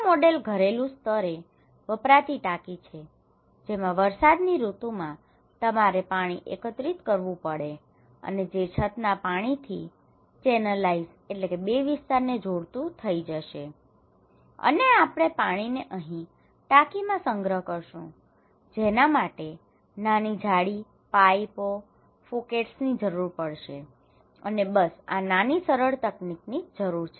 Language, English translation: Gujarati, This is a model tank at the household level, during the rainy season you have to collect water and from the roof water, this will come channelize okay, and we will store it here, simple; very simple and there is a small net, pipes and Phukets okay, so this small simple technology you need